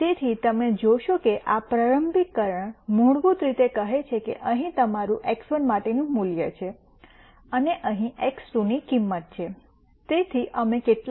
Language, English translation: Gujarati, So, you would notice that this initialization basically says here is your value for x 1 and here is a value for x 2